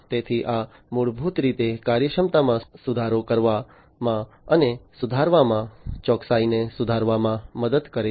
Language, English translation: Gujarati, So, this basically helps in improving the efficiency and improving, improving the precision, and so on